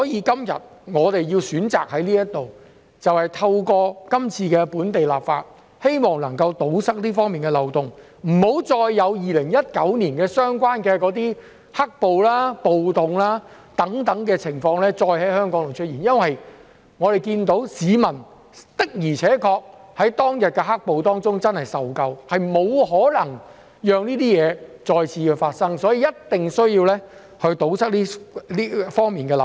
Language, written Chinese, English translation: Cantonese, 今天我們選擇在這裏透過今次的本地立法，希望能夠堵塞這方面的漏洞，不要再有2019年"黑暴"、暴動等情況再在香港出現，因為我們看到市民的而且確真的受夠當日的"黑暴"，我們不可能讓這些情況再次發生，因此，必須堵塞這方面的漏洞。, Today we have made a choice to enact local legislation in the hope of plugging these loopholes so that situations like the black - clad violence or riots in 2019 will not happen in Hong Kong again because we can see that people had really suffered enough from the black - clad violence back then . Therefore loopholes in this respect must be plugged